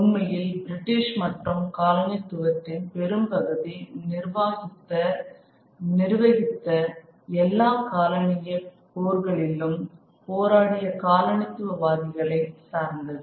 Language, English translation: Tamil, In fact, much of British and French colonialism dependent on the colonizers as those who ran the administration and fought in the wars, fought all the colonial wars